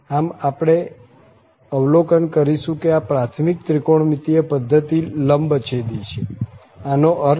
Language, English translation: Gujarati, So, this is we will observe that this basic trigonometric system this is orthogonal, what do we mean